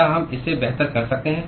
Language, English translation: Hindi, can we do it better than that